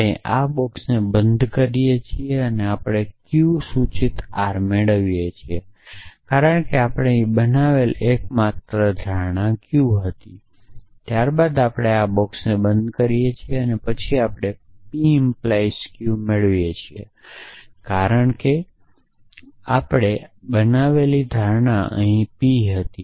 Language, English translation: Gujarati, We can apply then we close this box we get q implies r because the only assumption we made in here was q, then we close this box then we get p implies q implies r because the assumption we made was p here